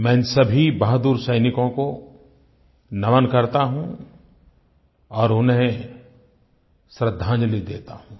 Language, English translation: Hindi, I salute these valiant soldiers and pay my tributes to them